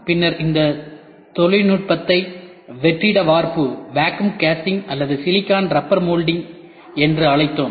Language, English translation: Tamil, It is also called as vacuum casting or it is called as silicon rubber mold